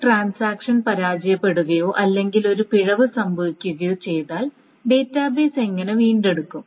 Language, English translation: Malayalam, So essentially if a transaction fails or something amiss happens, how does the database recover